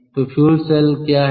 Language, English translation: Hindi, so what is the fuel cell